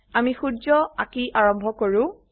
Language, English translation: Assamese, Let us begin by drawing the sun